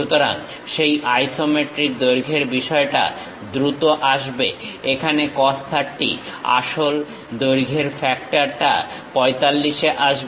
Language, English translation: Bengali, So, that isometric length thing comes faster cos 30 here; the true length factor comes at 45